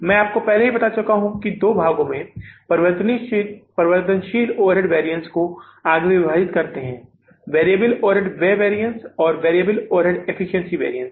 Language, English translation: Hindi, Variable overhead variance also has the further two sub bariances, variable overhead expenditure variance and the variable overhead efficiency variance